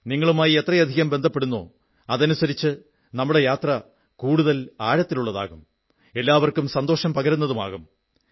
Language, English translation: Malayalam, The more you connect with us, our journey will gain greater depth, providing, satisfaction to one and all